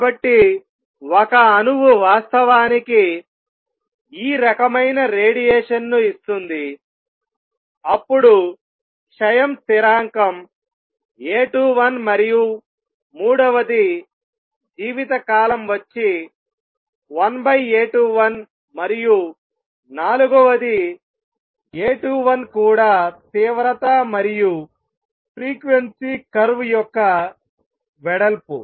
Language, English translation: Telugu, So, an atom actually give out this kind of radiation is goes down then the decay constant is A 21 and third therefore, lifetime is 1 over A 21 and fourth A 21 is also the width of the intensity versus frequency curve